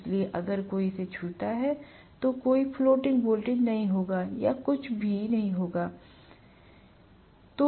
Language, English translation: Hindi, So, if somebody touches it, there will not be any floating voltage or anywhere, anything will be coming